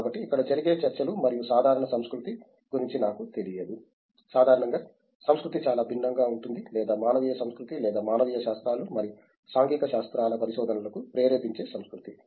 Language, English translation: Telugu, So, here I don’t know the kind of talks that happens and the general culture in, I mean the culture in general is very different from or humanities culture or a culture that is inducive to humanities and social sciences research